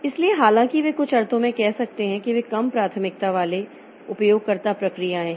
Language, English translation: Hindi, So, though they, so you can say in some sense that they are low priority user processes